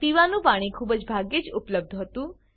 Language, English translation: Gujarati, Drinking water was scarcely available